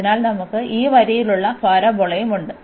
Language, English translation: Malayalam, So, we have the parabola we have this line here